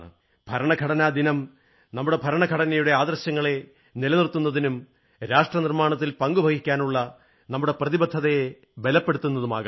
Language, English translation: Malayalam, I pray that the 'Constitution Day' reinforces our obligation towards upholding the constitutional ideals and values thus contributing to nation building